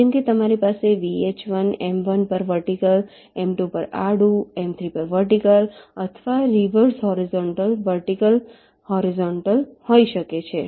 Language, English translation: Gujarati, like you can have either v, h v, vertical on m one, horizontal on m two, vertical on m three, or the reverse: horizontal, vertical, horizontal